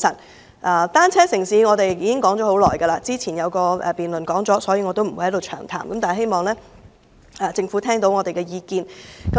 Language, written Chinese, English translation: Cantonese, 我們提出"單車城市"已多年，之前有一項辯論亦與此有關，我不會在此詳談，但希望政府聆聽我們的意見。, We have put forth the proposal of a bicycle city for years . There was a motion debate on this subject earlier so I will not go into the details here but I hope the Government will listen to our view